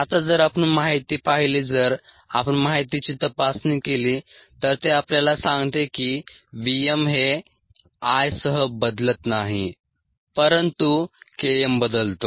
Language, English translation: Marathi, if we inspect the data, it tells us that v m does not change with i, but k m changes